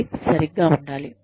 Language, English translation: Telugu, It should be, just right